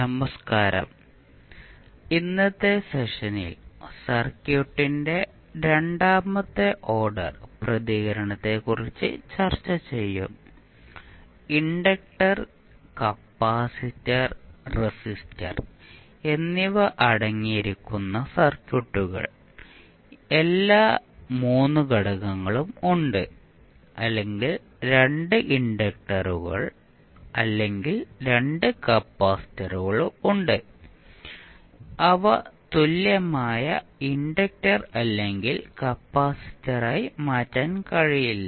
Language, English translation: Malayalam, So, in today’s session we will discuss about the second order response of the circuit means those circuits which contain inductor, capacitor and resistor; all 3 components are there or we have 2 inductors or 2 capacitors which cannot be clubbed to become a equivalent inductor or capacitor